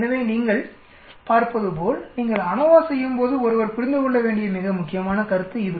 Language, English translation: Tamil, So as you can see it is a very important concept one needs to understand when you are doing ANOVA